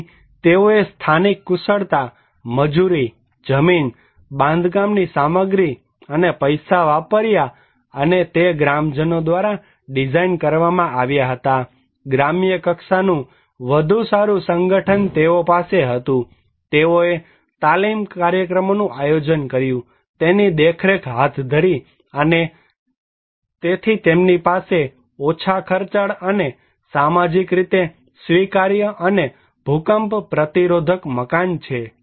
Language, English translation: Gujarati, So, they use the local skill, labour, land, building materials and money designed by the villagers, better village level organization they had, they conducted training program, monitoring and therefore they have low cost socially acceptable and earthquake resistant building